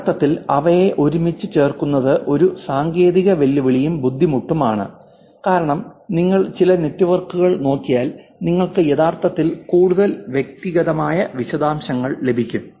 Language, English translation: Malayalam, A technical challenge for actually putting them together is also harder, because if you look at some networks you get actually details which are something more personal